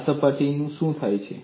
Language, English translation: Gujarati, And what happens to this surface